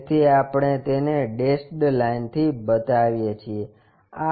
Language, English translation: Gujarati, So, we show it by dashed line